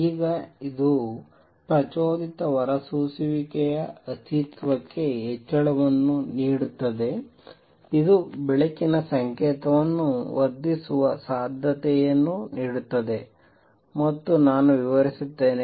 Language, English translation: Kannada, Now this gives raise to the existence of stimulated emission gives rise to possibility of amplifying a light signal, and let me explain